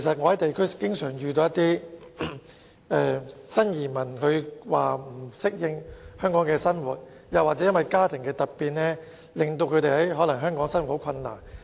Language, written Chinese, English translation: Cantonese, 我在地區經常遇到新移民說不適應香港生活，或因家庭突變令他們在香港的生活變得困難。, At district level I often meet some new arrivals who find it hard to adapt to the Hong Kong lifestyle or whose livelihood has become difficult due to sudden family changes